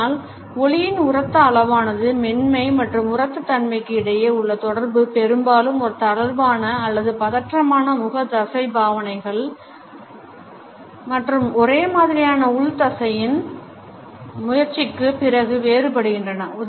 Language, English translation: Tamil, So, loudness of volume between softness and loudness can differentiate in correlation often with a lax or tense facial musculature and gesture perfectly congruent with the internal muscular effort